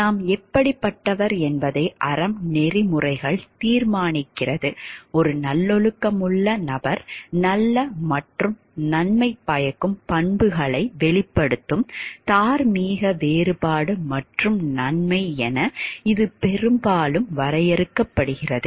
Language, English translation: Tamil, Next we will discuss virtue ethics, virtue ethics decides what kind of person we are; it is often defined as a moral distinction and goodness a virtuous person exhibits good and beneficent qualities